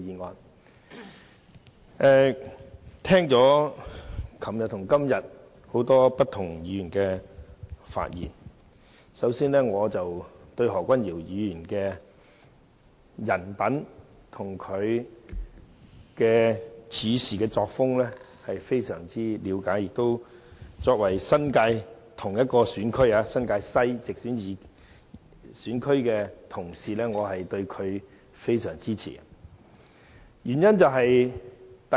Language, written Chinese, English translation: Cantonese, 昨天和今天也聽到很多議員發言，首先，我對何君堯議員的人品和處事作風非常了解，而且作為同一個新界西選區的直選議員，我非常支持他。, We have heard the speeches delivered by a number of Members yesterday and today . First of all I understand very well the personality of Dr Junius HO and his way of doing things . As a Member directly elected from the same New Territories West constituency I support him very much